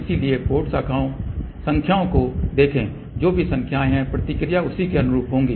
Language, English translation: Hindi, So, look at the port numbers, ok whatever the numbers are there the response will be corresponding to that